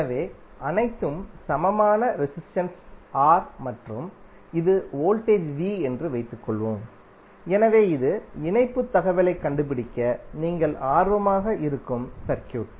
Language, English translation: Tamil, So suppose all are of equal resistance R and this is voltage V, so this is the circuit you may be interested to find out the connectivity information